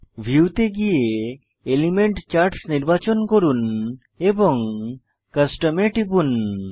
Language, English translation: Bengali, Go to View, select Element Charts and click on Custom